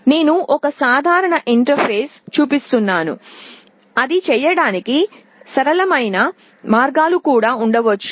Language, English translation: Telugu, I am showing a typical interface there can be simpler ways of doing it also